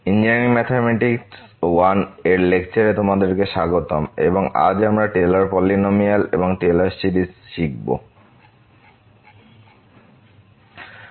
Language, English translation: Bengali, Welcome back to the lectures on Engineering Mathematics I and today’s we will learn Taylor’s Polynomial and Taylor Series